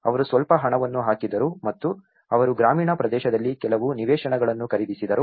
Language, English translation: Kannada, And they put some money and they bought some plots in the rural area